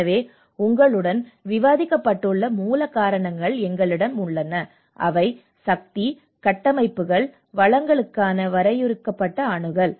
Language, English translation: Tamil, So we have the root causes as I discussed with you, that the limited access to the power, structures, resources